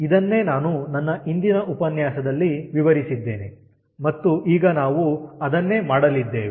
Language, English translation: Kannada, so this is what i have explained ah in my earlier lecture and that is what we are going to do